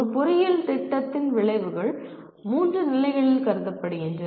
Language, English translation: Tamil, The outcomes of an engineering program are considered at three levels